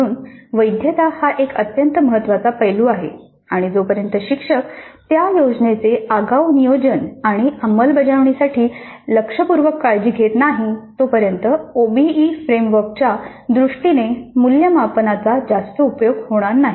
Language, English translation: Marathi, So the validity is an extremely important aspect and unless the instructor exercises considerable care in advance planning and execution of that plan properly, the assessment may prove to be of not much use in terms of the OBE framework